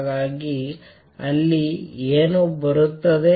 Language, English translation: Kannada, So, that what come